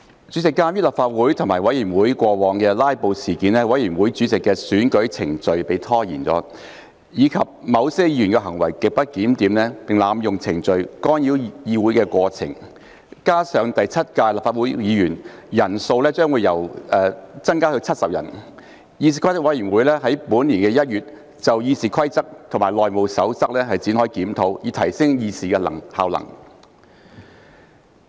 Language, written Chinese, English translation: Cantonese, 主席，鑒於立法會及委員會過往發生"拉布"事件，以致委員會主席的選舉程序被拖延；而且某些議員行為極不檢點，並濫用程序干擾會議過程，以及第七屆立法會議員人數將會增加至90人，議事規則委員會於本年1月就《議事規則》及《內務守則》展開檢討，以提升議事效能。, President given the delay in the election of committee chairmen due to the past incidents of filibusters in the Council and committees grossly disorderly conduct of certain Members and abuse of procedures to cause disruption to the proceedings of meetings coupled with the fact that the number of Members of the Seventh Legislative Council will increase to 90 the Committee initiated a review on the Rules of Procedure RoP and House Rules HR in January this year in a bid to enhance the effectiveness of deliberation